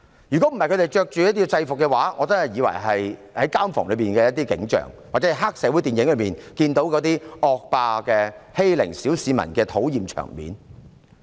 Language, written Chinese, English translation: Cantonese, 如果他們不是穿着制服，我還以為是監房內的景象，或是在黑社會電影中看到的惡霸欺凌小市民的討厭場面。, Had they not been dressed in uniform I would have thought that it was what happened in a prison or a disgusting scene of gangsters bullying an ordinary citizen in a triad film